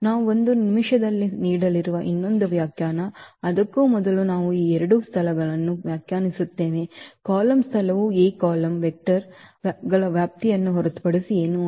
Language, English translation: Kannada, One more definition we are going to give in a minutes, before that we just define these two spaces the column space is nothing but the span of the column vectors of A